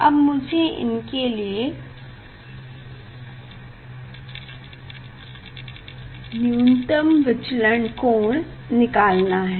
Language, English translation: Hindi, now, I have to find out the minimum deviation position